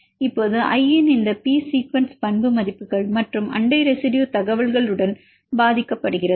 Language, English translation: Tamil, Now, this P sequence of i is influenced with the property values plus the neighboring residue information